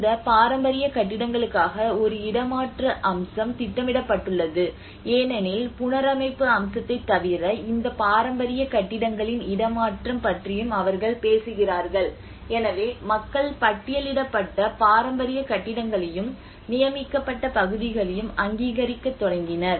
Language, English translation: Tamil, And then there is a relocation aspect which has been planned out for these heritage buildings because apart from the reconstruction aspect they are also talking about the relocation of these heritage buildings so then that is where people started recognizing their listed heritage buildings, and you know the designated areas, and that is where probably they are claiming some more importance to certain buildings